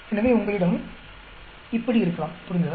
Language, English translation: Tamil, So you may have like this; understand